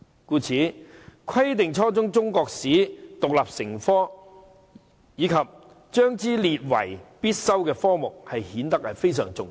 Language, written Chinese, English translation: Cantonese, 因此，規定初中中國歷史獨立成科，以及將之列為必修科目便顯得非常重要。, It is thus very important to require the teaching of Chinese history as an independent subject at junior secondary level and make the subject compulsory